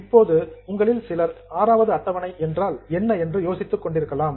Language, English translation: Tamil, Now, few of you may be wondering what is this Schedule 6 mean